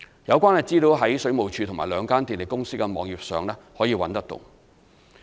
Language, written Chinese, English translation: Cantonese, 有關資料可在水務署及兩間電力公司的網頁上找到。, Relevant information can be found on the websites of WSD and the two power companies